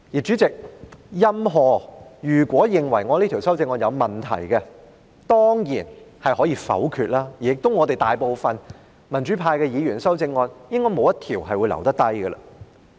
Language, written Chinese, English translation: Cantonese, 主席，任何人如果認為我這項修正案有問題，當然可以反對，而民主派議員的修正案應該會全部被否決。, Chairman anyone who sees problems with this amendment of mine can certainly object to it and the amendments proposed by the pro - democracy Members are all expected to be voted down